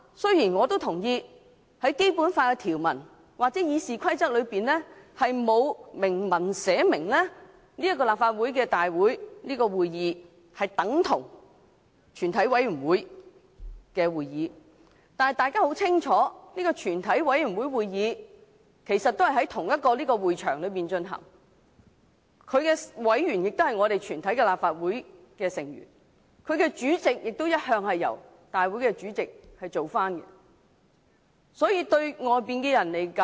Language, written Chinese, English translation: Cantonese, 雖然我也同意《基本法》條文或《議事規則》並沒有訂明，立法會會議等同全體委員會會議。但是，大家很清楚，全體委員會會議其實與立法會會議在同一個會場進行，其委員亦是立法會全體議員，其主席亦由立法會會議的主席主持。, While I also agree that it is not stipulated in any Basic Law provisions or RoP that Council meetings are the same as meetings of the committee of the whole Council Members should be well aware that the committee of the whole Council actually holds its meetings at the same venue as Council meetings with its membership comprising all Legislative Council Members and its Chairmanship assumed by the President who presides over Council meetings